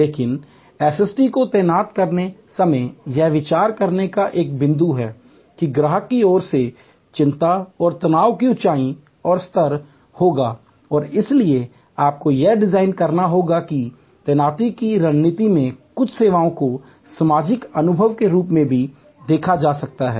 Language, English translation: Hindi, But, it is remains a point to consider while deploying SST that there will be a height and level of anxiety and stress on the customer side and therefore, you must design that into the deployment strategy, also there can be some services are seen as social experiences and therefore, people prefer to deal with people